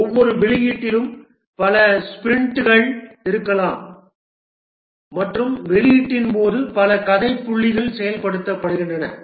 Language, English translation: Tamil, Each release might consist of several sprints and during a release several story points are implemented